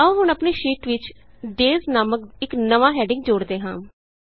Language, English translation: Punjabi, Now lets insert a new heading named Days in our sheet